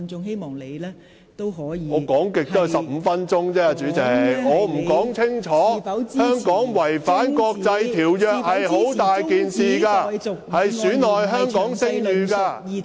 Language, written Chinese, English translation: Cantonese, 代理主席，我最多只可發言時間15分鐘，香港違反國際條約是很嚴重的事，會令香港的聲譽受損......, Deputy President I can only speak for 15 minutes at the most . It is a serious matter for Hong Kong to violate the international treaties which may tarnish the reputation of Hong Kong